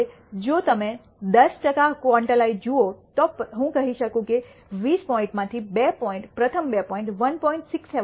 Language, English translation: Gujarati, Now if you look at the 10 percent quantile, I can say that out of 20 points two points rst two points fall below 1